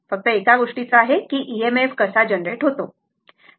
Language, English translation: Marathi, Only thing is that how EMF is generated right